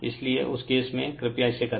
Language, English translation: Hindi, So, in that case, you please do it